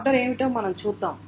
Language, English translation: Telugu, We will see what the order is